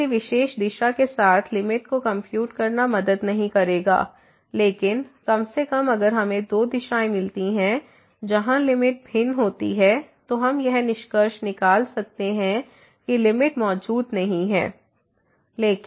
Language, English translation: Hindi, So, computing limit along a particular direction will not help, but at least if we find two directions where the limits are different, then we can conclude that limit is a limit does not exist